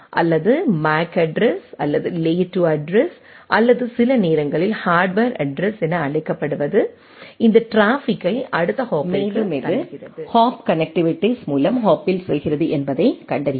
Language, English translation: Tamil, Or find out that what is the MAC address or the layer 2 address or sometimes known as the hardware address push this traffic to the next hop and it goes on the hop by hop connectivities